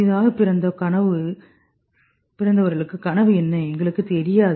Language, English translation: Tamil, What is the newborn dreaming we don't know